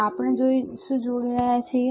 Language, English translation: Gujarati, So, what we are connecting